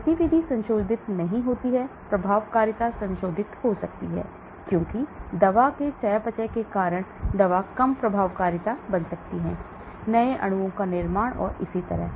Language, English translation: Hindi, The activity does not get modified; efficacy can get modified because the drug can become less efficacy, because of the metabolism of the drug, formation of new molecules and so on